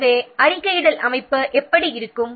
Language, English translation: Tamil, This is the reporting structure